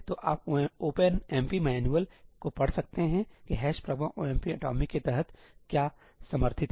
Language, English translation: Hindi, So, you can read up the OpenMP manual on what all is supported under ëhash pragma omp atomicí